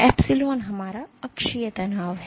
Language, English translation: Hindi, Epsilon is our axial strain